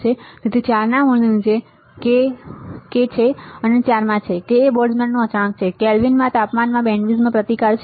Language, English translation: Gujarati, So, under root of what 4, so 4 is there into k, k is Boltzmann constant into temperature in Kelvin into bandwidth into resistance right